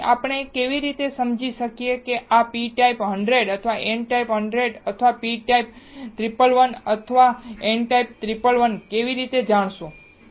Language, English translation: Gujarati, So, how we can now understand whether this p type 100 or n type 100 or p type 111 or n type 111, how you will know